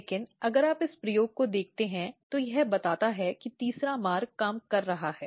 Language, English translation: Hindi, But if you look this experiment of you if you think this data, this suggests that the third pathway is working